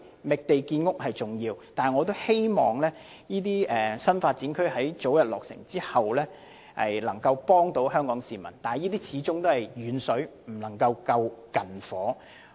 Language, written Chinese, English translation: Cantonese, 覓地建屋是重要的，我也希望新發展區能早日落成，為香港市民提供居所，但始終"遠水不能救近火"。, The identification of sites for housing construction is important . I also hope that new development areas can be developed as soon as possible so as to provide housing units to Hong Kong people but distant water cannot quench a fire nearby after all